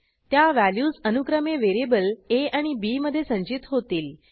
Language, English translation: Marathi, The values will be stored in variable a and b, respectively